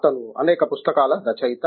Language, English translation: Telugu, He is the author of numerous books